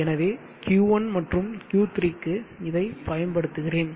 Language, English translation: Tamil, S for Q1 and Q3 I will use the top okay